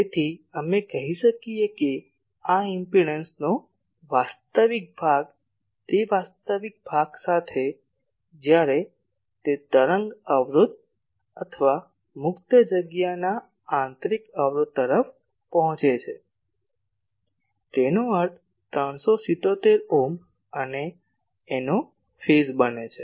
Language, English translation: Gujarati, So, we say that real part of this real part of this impedance quantity, real part of that when that approaches the wave impedance or intrinsic impedance of free space; that means, 377 ohm and the phase of this quantity